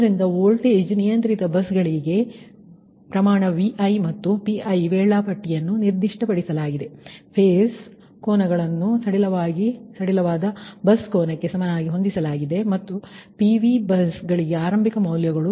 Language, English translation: Kannada, so for voltage controlled buses, where magnitude vi and pi schedule are specified, phase angles are set equal to the slack bus angle